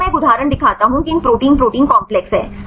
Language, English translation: Hindi, Here I show one example is protein protein complex right